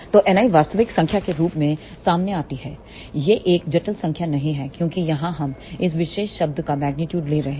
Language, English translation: Hindi, So, N i comes out to be the real number it is not a complex number because here we are taking magnitude of this particular term